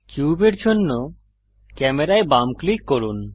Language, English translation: Bengali, Left click camera for cube